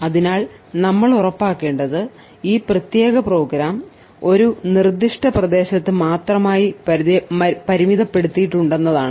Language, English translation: Malayalam, So, what we needed to ensure was that we needed to ensure that this particular program is confined to a specific area